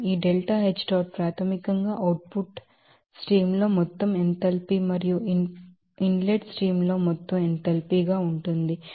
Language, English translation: Telugu, This delta H dot basically that what will be the total enthalpy in the output stream and total enthalpy in the inlet streams